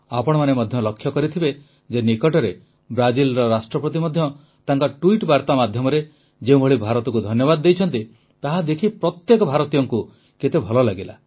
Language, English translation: Odia, You must also have seen recently how the President of Brazil, in a tweet thanked India every Indian was gladdened at that